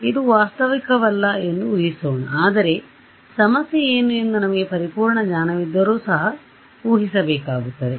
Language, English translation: Kannada, Let us assume it is not realistic, but let us assume even if we had perfect knowledge of view what is the problem